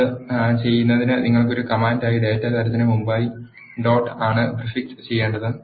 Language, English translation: Malayalam, To do that you need to prefix is dot before the data type as a command